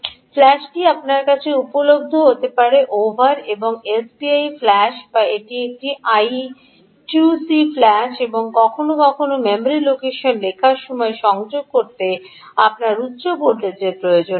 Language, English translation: Bengali, flash can be available over ah, you will have to connect over and s p i flash or an i two c flash, and sometimes, while writing to the memory location, you will need higher voltages, higher voltage, right